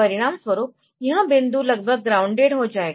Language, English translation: Hindi, As a result, this point will be almost grounded